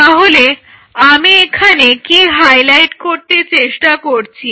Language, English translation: Bengali, So, what I wanted to highlight here